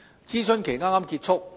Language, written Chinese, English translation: Cantonese, 諮詢期剛剛結束。, The consultation has recently come to a close